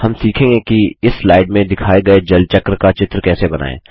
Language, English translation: Hindi, We will learn how to create a picture of the water cycle as shown in this slide